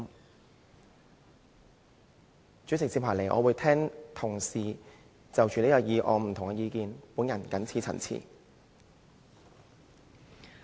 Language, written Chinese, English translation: Cantonese, 代理主席，接下來我會聆聽同事就這項議案發表的不同意見。, Deputy President next I will listen to the various views of colleagues on this motion